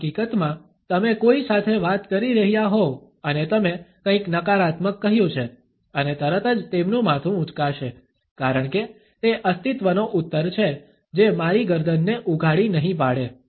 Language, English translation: Gujarati, In fact, you can be talking to someone and you mentioned something negative and immediately their head will pop up, because it is a survival response that I will not expose my neck